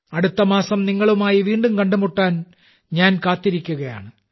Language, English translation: Malayalam, I am waiting to connect with you again next month